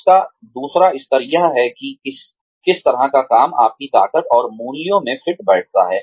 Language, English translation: Hindi, The second level of this is, what kind of work fits your strengths and values